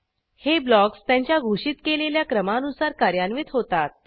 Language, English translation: Marathi, These blocks will get executed in the order of declaration